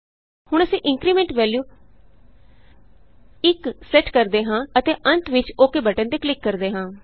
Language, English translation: Punjabi, Now we set the Increment value as 1 and finally click on the OK button